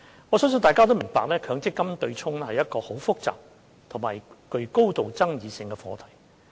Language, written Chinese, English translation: Cantonese, 我相信大家都明白，強積金對沖是一個很複雜及具高度爭議性的課題。, I believe Members will understand that the MPF offsetting arrangement is a very complicated and highly controversial issue